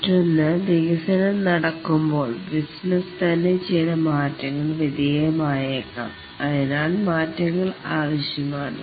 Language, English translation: Malayalam, The other is that as the development takes place, the business itself might undergo some change and therefore changes will be required